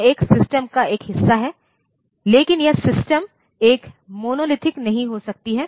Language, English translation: Hindi, It is a part of a system, but that system may not be a monolithic one